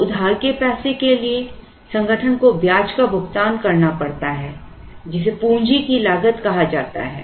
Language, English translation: Hindi, So, for the borrowed money the organization has to pay interest which is called the cost of capital